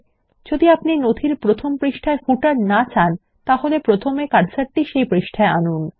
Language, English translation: Bengali, If you dont want a footer on the first page of the document, then first place the cursor on the first page